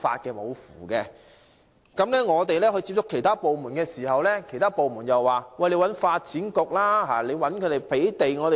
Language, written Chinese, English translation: Cantonese, 當我們接觸其他部門的時候，它們又說應該要求發展局提供土地。, When we approach other departments they told us to request the Development Bureau for the provision of land